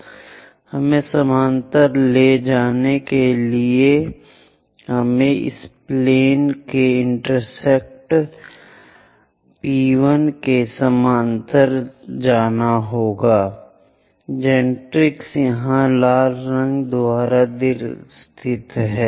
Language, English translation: Hindi, So, let us move parallel tolet us move parallel to this plane intersect P1 all the way to first generatrix here located by a red line